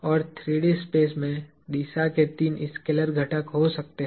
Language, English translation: Hindi, And, the direction in three dimensional space can have three scalar components